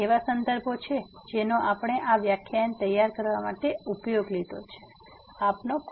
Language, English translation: Gujarati, These are references which we have used to prepare these lectures and